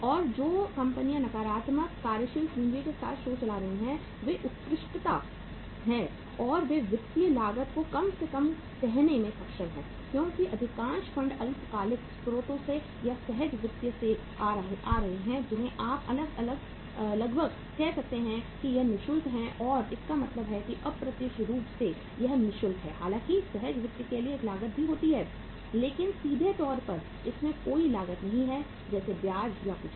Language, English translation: Hindi, And the firms who are running the show with the negative working capital they are par excellence and they are able to say minimize the financial cost because most of the funds are coming from the short term sources or from the spontaneous finance which is almost you can call it as free of cost and uh means indirectly it is free of cost though there is a cost to the spontaneous finance also but directly there is no cost as such like interest or anything